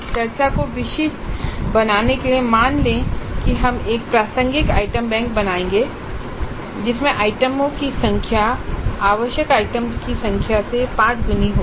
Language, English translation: Hindi, All kinds of variations are possible but in order to make the discussion specific let us assume that we will create an initial item bank in which the number of items is 5 times the required number of items